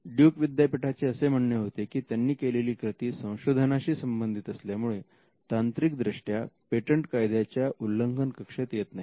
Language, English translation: Marathi, Duke University pleaded research exception saying that its activities would amount to research and hence, it should not technically fall within patent infringement